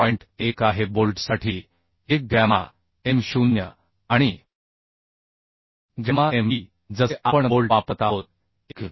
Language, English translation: Marathi, 1 gamma m0 and gamma mb for bolt as we are using bolt so 1